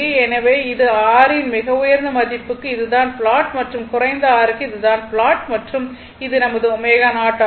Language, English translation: Tamil, So, this is very high value of R this is the plot and for low R this is the plot and this is my omega 0